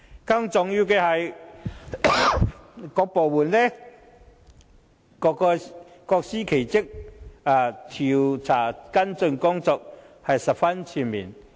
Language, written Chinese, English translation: Cantonese, 更重要的是，各部門各司其職，調查跟進工作是十分全面。, More importantly the departments have all properly carried out their duties and collaborated comprehensively on following up the inquiry